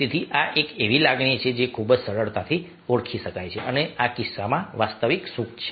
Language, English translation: Gujarati, so this is an emotion which is very easily identifiable for a genuine is happiness